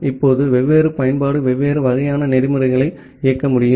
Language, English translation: Tamil, Now, different application can run different type of protocols